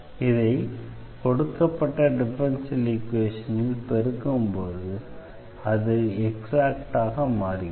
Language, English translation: Tamil, So, the idea here is to multiply the given differential equation which is not exact